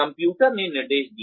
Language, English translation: Hindi, Computer managed instruction